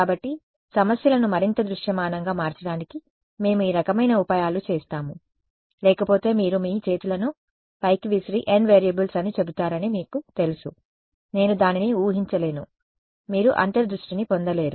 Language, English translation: Telugu, So, these kinds of tricks we do to make the problems more visualizable other wise you know you will just throw up your hands and say n variables, I cannot visualize it you will not getting intuition